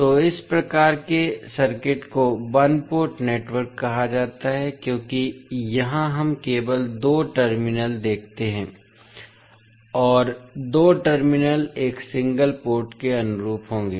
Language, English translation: Hindi, So, these kind of circuits are called as a one port network because here we see only two terminals and two terminals will correspond to one single port